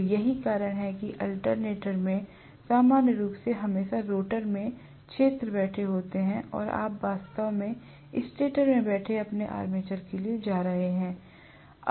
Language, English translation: Hindi, So that is the reason why we normally have in the alternator always the field sitting in the rotor and you are going to have actually your armature sitting in the stator